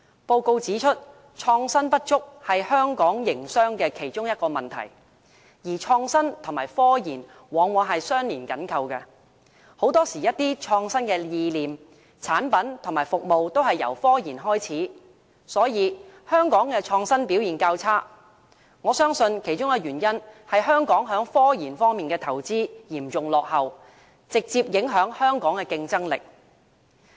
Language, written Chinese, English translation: Cantonese, 報告指出，創新不足是香港營商的其中一個問題，而創新跟科研往往是相連緊扣的，一些創新意念、產品及服務很多時候都是由科研開始，所以我相信香港的創新表現較差，其中一個原因是香港在科研方面的投資嚴重落後，直接影響香港的競爭力。, The Report points out that our weak capacity to innovate is one of the problems facing the business community in Hong Kong . Innovation is often closely linked to research and development RD which often gives birth to creative ideas products and services . I thus believe that one of the reasons for our poor innovation performance is that our RD investment lags seriously behind our counterparts and thus directly affected our competitiveness